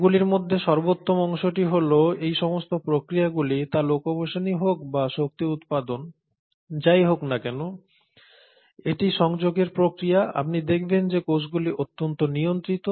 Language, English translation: Bengali, And the best part among all these is that all these processes, whether it is of locomotion, whether it is of generating energy, it is a process of communicating, you find that the cells are highly regulated